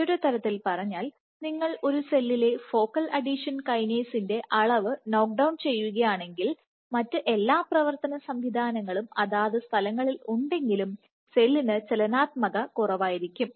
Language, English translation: Malayalam, So, in other words if you knock down the level of focal adhesion kinase in a cell then the cell will be less motile even though it has all the other machinery in places